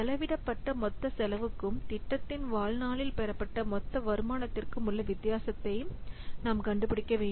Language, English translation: Tamil, So, we have to find out the difference between the total cost spent and the total income obtained over the life of the project